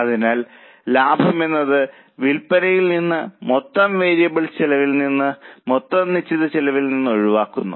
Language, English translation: Malayalam, So, profit is sales minus total variable cost minus total fixed costs